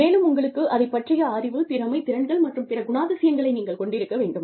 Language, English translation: Tamil, And, you have to, have the knowledge, skills, abilities, and other characteristics